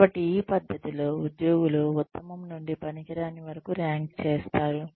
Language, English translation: Telugu, So, in this method, the employees are ranked, from the best to worst